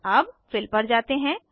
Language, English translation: Hindi, Next, lets look at Fill